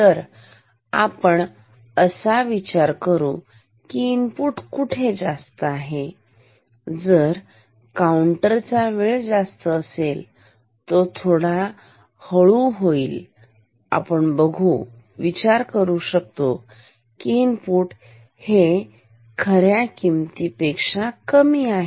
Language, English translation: Marathi, So, we will think the input is more, if the counter time might become slow, we will think the input is less than actual